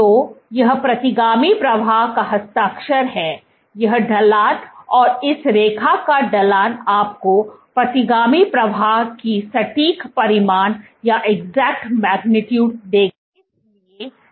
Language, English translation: Hindi, So, this is the signature of retrograde flow; this slope and the slope of this line will give you the exact magnitude of the retrograde flow